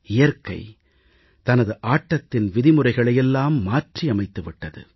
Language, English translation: Tamil, Nature has also changed the rules of the game